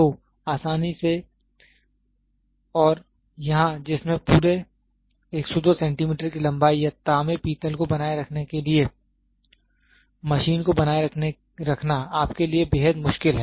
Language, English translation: Hindi, So, easily and here wherein which all throughout the length of 102 centimeters or maintaining a copper brass, this is extremely difficult for you to maintain to machine